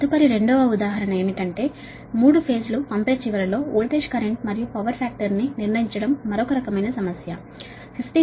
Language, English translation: Telugu, next two example is that determine the voltage, current and power factor at the sending end of a three phase